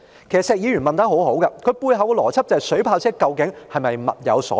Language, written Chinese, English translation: Cantonese, 其實，石議員的問題相當好，他背後的邏輯就是水炮車究竟是否物有所值。, In fact Mr SHEK asked a very good question . The logic behind it was whether water cannon vehicles were value for money